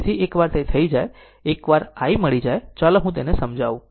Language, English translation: Gujarati, So, once it is done, once i is known right, let me clear it